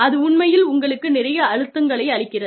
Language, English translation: Tamil, And, that really puts a lot of pressure, on you